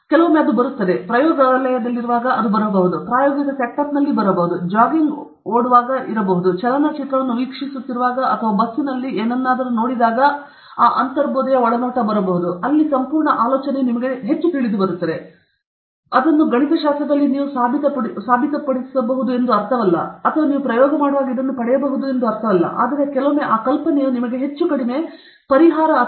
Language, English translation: Kannada, Sometime it comes, it can come when you are not in the lab; it can come when you are not in the experimental setup; it can come in somewhere when you are jogging or it can come when you are watching a movie or even in your bus or something, where more or less the complete idea is revealed to you, but it doesn’t mean that mathematically you can prove it or when you do an experiment you can get this, but sometimes that intuition tells you where more or less the idea is completely… in which more or less the complete idea is revealed – it’s not related the complete idea is revealed okay